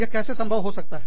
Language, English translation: Hindi, How can, that be possible